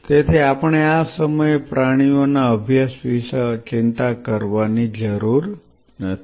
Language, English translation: Gujarati, So, we do not have to worry about the animal studies at this time